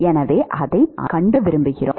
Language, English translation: Tamil, So, that is what we want to find